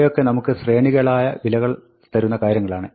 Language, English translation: Malayalam, These are all things which give us sequences of values